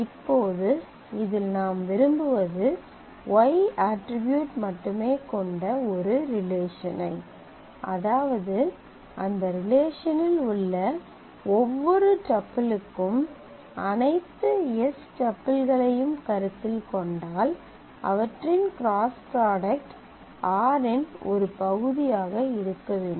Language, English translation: Tamil, Now in this what we want is we want to in the output we want a relation having only the y attribute such that for every tuple in that relation if I consider all the tuples of s then their cross product must be a part of r